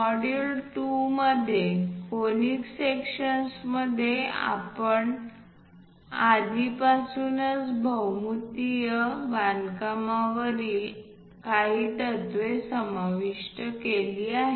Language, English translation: Marathi, In module 2, conic sections, we have already covered some of the principles on geometric constructions